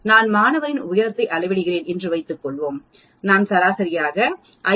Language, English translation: Tamil, Suppose I am measuring the height of the student in my class I am getting an average of 5